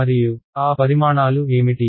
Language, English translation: Telugu, And what are those quantities